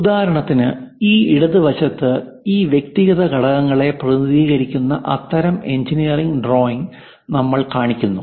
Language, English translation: Malayalam, For example, on this left hand side we are showing such kind of engineering drawing where all these individual components are represented